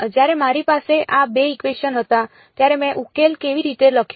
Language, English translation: Gujarati, When I had these 2 equations, how did I write the solution